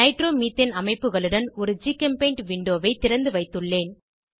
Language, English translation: Tamil, I have opened a new GChemPaint window with structures of Nitromethane